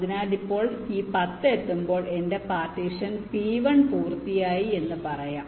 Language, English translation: Malayalam, so once this ten is reached, i can say that my partition p one is done